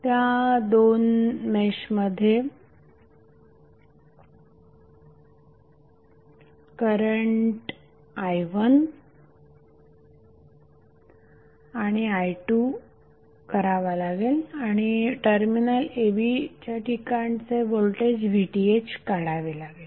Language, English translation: Marathi, You can apply mesh current i1 and i2 across these two meshes and you need to find out the voltage VTh across terminal a b